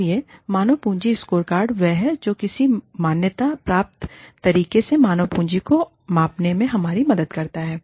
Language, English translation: Hindi, So, human capital scorecards, is what help us measure the, human capital in a recognized way